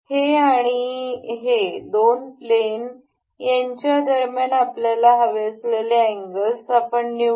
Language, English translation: Marathi, We will select this and the two planes that we need angle between with is this and this plane